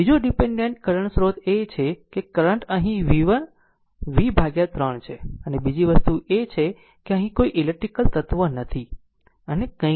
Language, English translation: Gujarati, Another dependent current source is there the current is here v v by 3 right and second thing is at there is no electrical element here and nothing